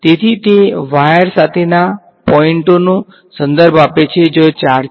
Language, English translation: Gujarati, So, those refer to the points along the wire where the charges are right